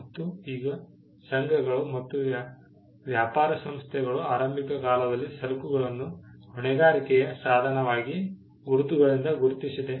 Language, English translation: Kannada, Now, Guilds and trade organizations in the earliest times identified goods by marks as a means of liability